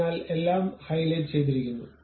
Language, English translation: Malayalam, So, everything is highlighted